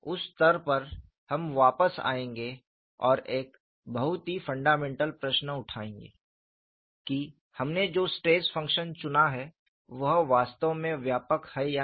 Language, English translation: Hindi, At that stage, we will come back and raise a very fundamental question, whether the stress function we have selected is indeed comprehensive or not